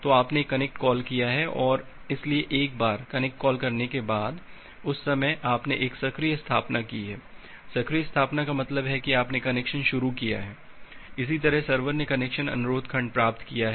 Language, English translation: Hindi, So, you have make a connect call, so once you have make the connect calls, that time this is you have made a active establishment, active establishment means you have initiated the connection; similarly the server it has received the connection request segment